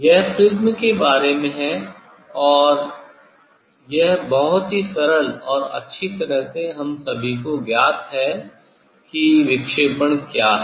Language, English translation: Hindi, this is about the prism and this although very simple and well known to all of us and what is dispersion